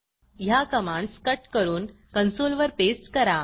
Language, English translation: Marathi, I will cut this set of commands and paste in the console